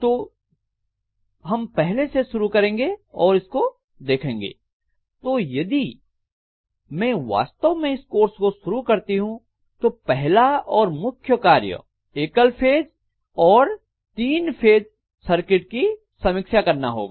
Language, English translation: Hindi, So we will be starting off with this first then we are going to look at, so if I actually start the flow of the course, the first and foremost thing we will be doing is review of single phase and three phase circuit